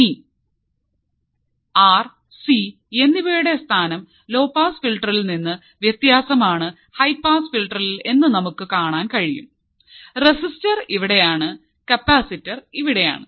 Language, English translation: Malayalam, So, now, when we hear the main thing which is different than the low pass filter is the placement of the R and C in the low pass filter, the resistor is here and the capacitor is here